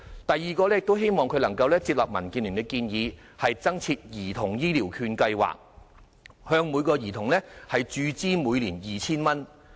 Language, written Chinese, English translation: Cantonese, 第二，希望政府能夠接納民建聯的建議，增設兒童醫療券計劃，向每名兒童每年注資 2,000 元。, Second we hope that the Government can accept DABs proposal to introduce a health care voucher scheme for children and inject 2,000 to each health care voucher account for children each year